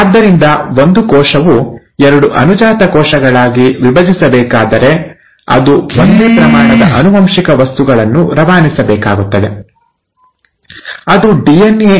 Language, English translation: Kannada, So, if a cell has to divide into two daughter cells, it has to pass on the same amount of genetic material, which is DNA